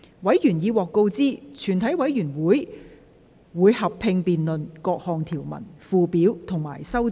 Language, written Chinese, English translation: Cantonese, 委員已獲通知，全體委員會會合併辯論各項條文、附表及修正案。, Members have been informed that the committee will conduct a joint debate on the clauses schedules and amendments